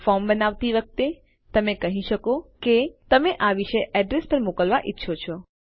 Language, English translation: Gujarati, When creating a form, you could say you want to send to this particular address